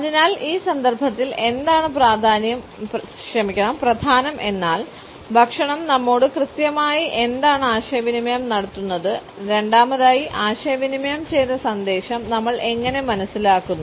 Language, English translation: Malayalam, So, what becomes important in this context is what exactly does food communicate to us and secondly, how do we understand the communicated message